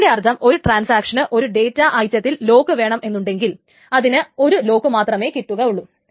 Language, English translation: Malayalam, So that means that if a transaction wants a lock on one data item it can only get one lock, it cannot get two locks